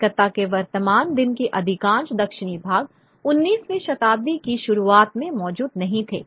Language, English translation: Hindi, Most of the southern part of present day Calcutta did not exist in the early 19th century